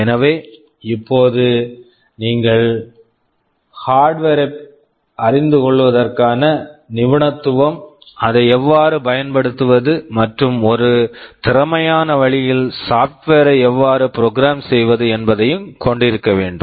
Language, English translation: Tamil, So, now you need to have the expertise of knowing the hardware, how to use it and also software how to program it in an efficient way